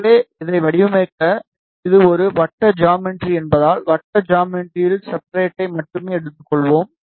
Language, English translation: Tamil, So, in order to design this, since it is a circular geometry we will take the substrate of circular geometry only